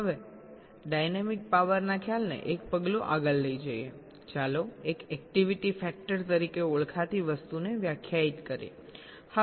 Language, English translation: Gujarati, ok now, taking the concept of dynamic power one step forward, let us define something called an activity factor